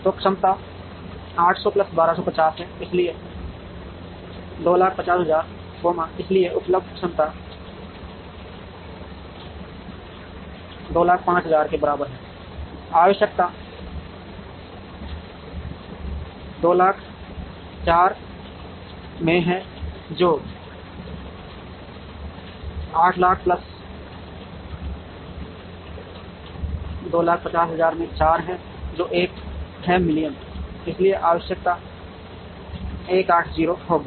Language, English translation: Hindi, So, the capacities are 800 plus 1 2 5 0, so 2 0 5 0 0 0 0, so available capacity equal to 2 0 5 0 0, the requirement is 200000 into 4, which is 800000 plus 250000 into 4, which is one million, so the requirement will be 1 8 0